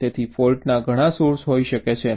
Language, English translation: Gujarati, so there can be so many sources of faults